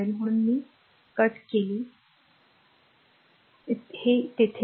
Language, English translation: Marathi, So, I cut this is not there